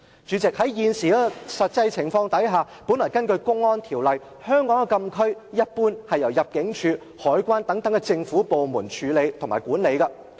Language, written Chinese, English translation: Cantonese, 主席，在現時的實際情況下，根據《公安條例》，香港的禁區一般是由香港入境事務處、香港海關等政府部門管理。, Under the Public Order Ordinance and the actualities of the present - day scenario President frontier closed areas in Hong Kong are usually administered by government departments such as the Immigration Department or the Customs and Excise Department